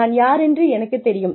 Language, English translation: Tamil, I know, who I am